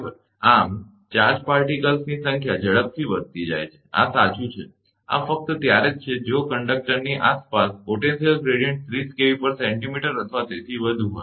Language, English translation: Gujarati, Thus, the number of charge particles goes on increasing rapidly, this is true this happens only if the potential gradient around the conductor is the 30 kV centimeter or above